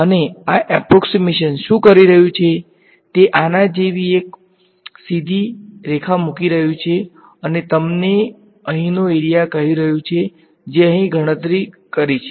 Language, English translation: Gujarati, And, what this approximation is doing, it is putting a straight line like this and telling you the area over here right that is what is computing over here